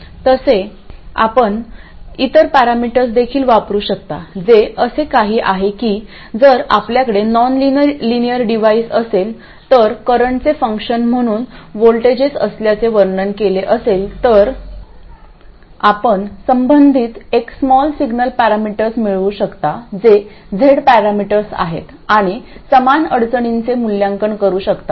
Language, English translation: Marathi, By the way, you can also use other parameters, that is if your nonlinear device happens to have voltages described as a function of currents, then you can derive the corresponding small signal parameters which are Z parameters and evaluate similar constraints